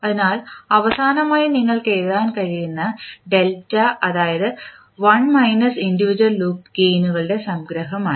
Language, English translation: Malayalam, So, finally the delta is which you can write is 1 minus summation of the individual loop gains